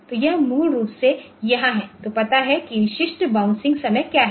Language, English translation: Hindi, So, it is basically here then if I know that, what is the typical bouncing time